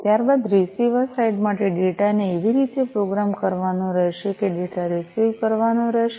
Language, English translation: Gujarati, After that for the receiver side, the data will have to program in such a way that the data will have to be received right